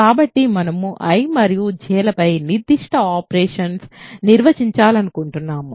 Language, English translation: Telugu, So, we want to define certain operations on I and J